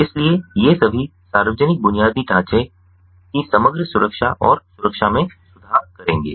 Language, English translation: Hindi, so all these will improve the overall ah, overall security and safety of public infrastructure